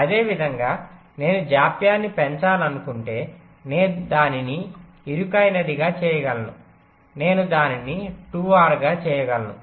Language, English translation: Telugu, similarly, if i want to increase the delay, i can make it narrower, i can make it two r